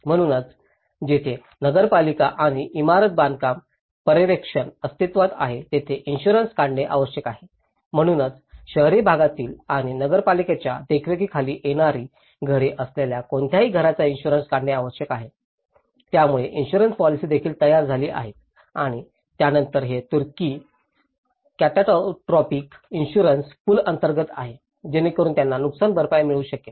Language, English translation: Marathi, So, here where the municipal and building construction supervision exists need to be insured, so, whatever the houses in the urban areas and which are under the perusal of the municipal supervision need to be insured so, the insurance policies also have started drafted and then this is under the Turkish catastrophic insurance pool, so that they can receive the compensation